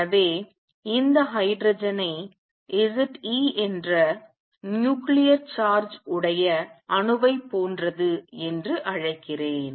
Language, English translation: Tamil, So, let me call this hydrogen like atom with nuclear charge z e